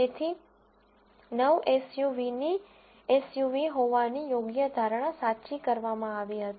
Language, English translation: Gujarati, So, 9 SUVs were correctly predicted to be SUVs